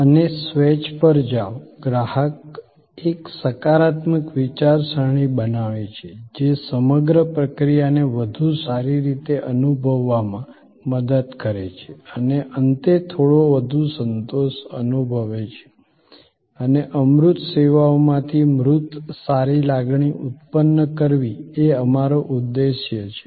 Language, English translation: Gujarati, And go to a swage, the customer create a positive frame of mind, which help getting a better feel of the whole process and at the end feel in a little bit more satisfied, that tangible good feeling which is our aim to generate out of intangible services